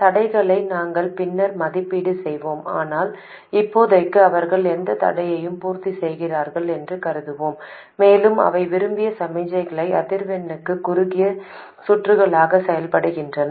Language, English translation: Tamil, We will evaluate the constraints later but for now we will assume that they satisfy whatever constraints they have to and they do behave like short circuits for the desired signal frequencies